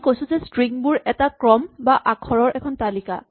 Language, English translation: Assamese, As we said the string is a sequence or a list of characters